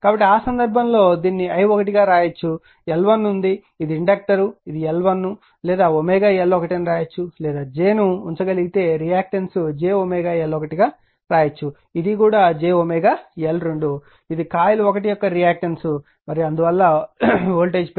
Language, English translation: Telugu, So, in that case you can write this one i1, L 1 is there this is the inductor this is L 1 or you can write or you can write if is a reactance you can put omega L 1 j omega L 1, this is also you can write j omega L 2 this is the reactance of coil 1 and because of there is voltage will induce it